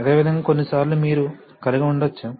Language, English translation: Telugu, Similarly sometimes you can have